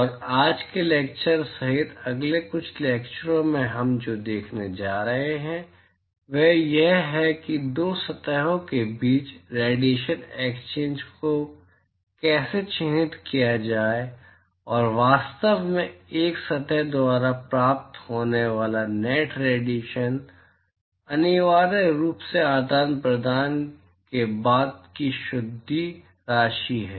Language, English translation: Hindi, And what we are going to see in the next few lectures including today’s is that how to characterize radiation exchange between two surfaces and in fact the net radiation which is received by a surface is essentially what is the net amount after the exchange has taken place between the two objects